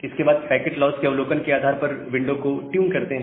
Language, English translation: Hindi, And then tune the congestion window based on the observation from packet loss